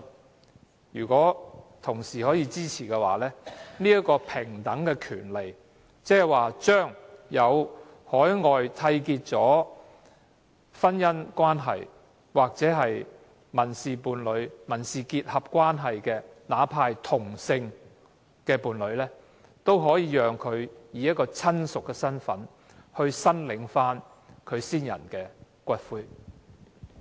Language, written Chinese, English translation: Cantonese, 我希望同事支持這個平等的權利，即讓海外締結的婚姻、民事伴侶或民事結合的另一方，哪怕是同性的伴侶，以親屬的身份來申領其去世伴侶的骨灰。, I hope Honourable colleagues support such equal rights that the other party to a marriage civil partnership and civil union entered into overseas―even of the same sex―is allowed to claim for the return of the ashes of their deceased partner in the capacity of a relative